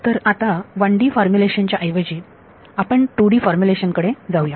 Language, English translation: Marathi, So, now, let us instead of doing a 1D formulation, we will jump to a 2D formulation